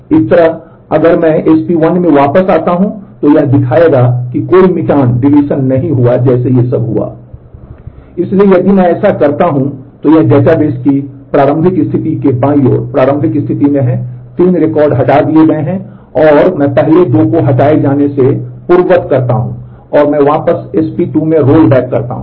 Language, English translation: Hindi, So, if I do that on the this is the initial state on the left to the initial state of the database 3 records have been deleted and, then I do undo off the first deletion of the first 2 and I roll back to SP 2